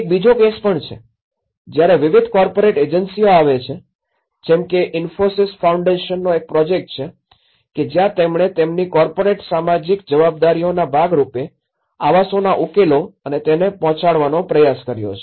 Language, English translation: Gujarati, There is another case, like where different corporate agencies come like for example this was a project by Infosys Foundation where, as a part of their corporate social responsibilities, they try to come and deliver the housing solutions